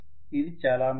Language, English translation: Telugu, It is very much fine